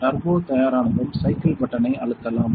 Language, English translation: Tamil, Once this is the turbo is ready you can press the cycle button